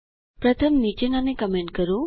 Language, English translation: Gujarati, First comment out the following